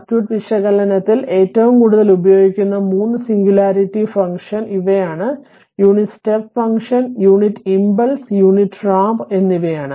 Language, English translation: Malayalam, So, in circuit analysis the 3 most widely used singularity function are the unit step function the units impulse and the unit ramp